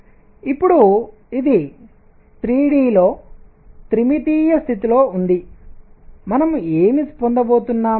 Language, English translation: Telugu, Now, this is in one dimensional case in 3 d, what we are going to have